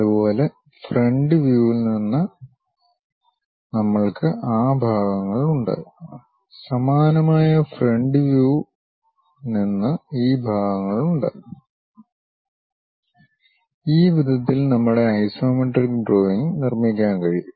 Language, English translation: Malayalam, Similarly, from the front view we have those parts, from similarly front view we have these parts, in this way we can construct our isometric drawing